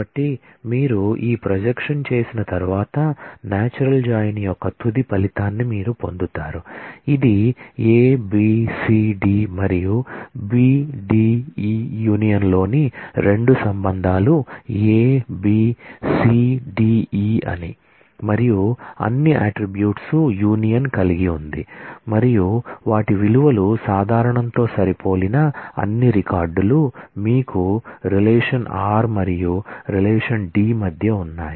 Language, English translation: Telugu, So, after you have done this projection, you get the final result of the natural join, which has a union of all the attributes that the 2 relations at A B C D and B D E union is A B C D E and you have all those records whose values matched on the common attributes between relation r and relation D